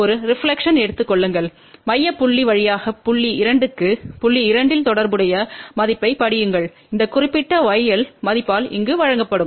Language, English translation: Tamil, So, take a reflection through the central point reach to point 2, at point 2 read the corresponding value of y L which is given by this particular value here